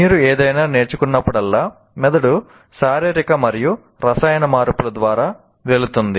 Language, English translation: Telugu, And whenever you learn something, the brain goes through both physical and chemical changes each time it learns